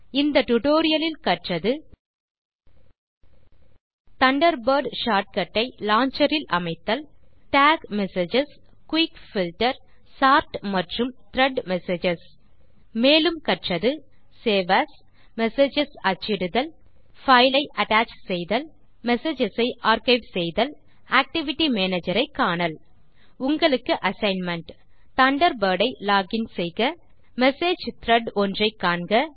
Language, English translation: Tamil, In this tutorial we learnt how to: Add the Thunderbird short cut to the launcher, Tag Messages, Quick Filter, Sort and Thread Messages We also learnt to: Save As and Print Messages, Attach a File, Archive Messages, View the Activity Manager Here is an assignment for you